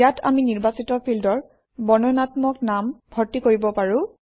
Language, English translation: Assamese, This is where we can enter descriptive names for the selected fields